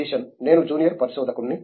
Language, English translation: Telugu, I was a junior research fellow